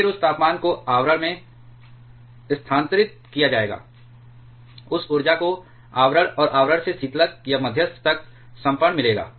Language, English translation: Hindi, Then that temperature will be transferred to the cladding, that energy will get trans transfer to the cladding and from cladding to the coolant or to the moderator